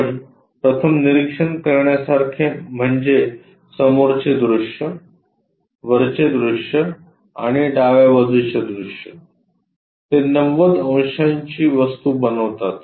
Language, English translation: Marathi, The first thing what you have to observe front view, top view and left side view, they make 90 degrees thing